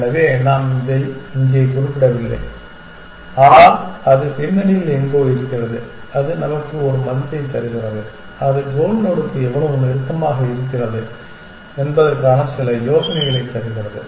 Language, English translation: Tamil, So, we are not mentioning it here, but it is there somewhere in the background and it returns a value to us which gives some idea of how close one is to the goal node essentially